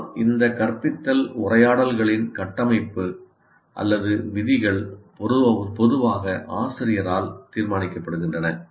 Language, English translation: Tamil, But the structure are the rules of these instructional conversations are generally determined by the teacher